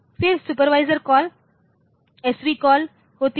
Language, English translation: Hindi, Then there is supervisory call SV call